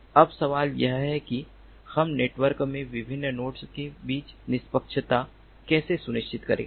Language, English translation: Hindi, now the question is that how do we ensure fairness among the different nodes in the network